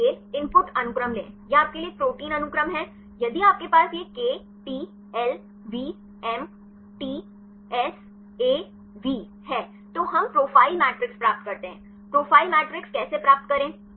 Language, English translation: Hindi, So take the input sequence; this is your protein sequence for it is only if you have this KTLVMTSAV then we get the profile matrix, how to get the profile matrix